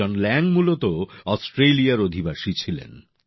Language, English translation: Bengali, John Lang was originally a resident of Australia